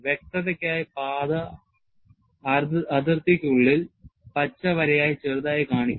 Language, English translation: Malayalam, For clarity, the path is shown slightly inside the boundary as a green line